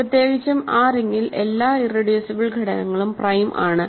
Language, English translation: Malayalam, So, in particular in that ring every irreducible element is prime